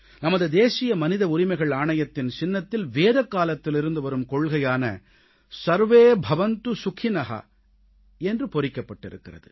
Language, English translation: Tamil, In the emblem of our National Human Rights Commission, the ideal mantra harking back to Vedic period "SarveBhavantuSukhinah" is inscribed